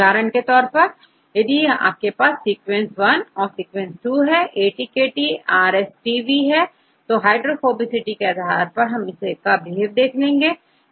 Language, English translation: Hindi, For example if you have a sequence 1 and sequence 2, AIKT here RSTV how for these sequences behave based on hydrophobicity